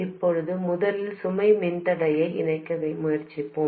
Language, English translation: Tamil, Now first let's try connecting the load resistor